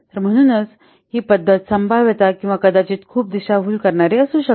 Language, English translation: Marathi, So that's why this method potentially may what may be very misleading